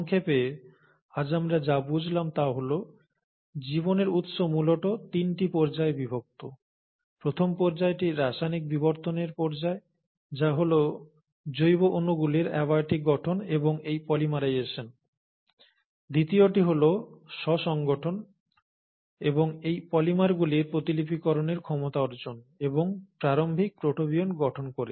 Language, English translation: Bengali, So, to summarize, what we understand today, is that the origin of life essentially is divided into three stages; the first stage is the stage of chemical evolution, which is abiotic formation of organic molecules and it's polymerization; the second is the self organization, and the ability of these polymers to somewhere develop the property of replication and formed the early protobionts